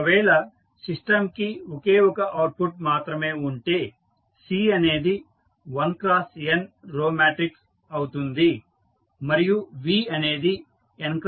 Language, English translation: Telugu, In particular, if the system has only one output that is C is 1 cross n row matrix, V will have n cross n square matrix